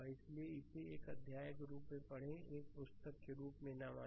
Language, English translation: Hindi, So, you read it as a chapter do not at the book right